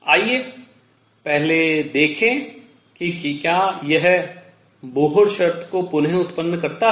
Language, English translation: Hindi, Let us first see if it reproduces Bohr condition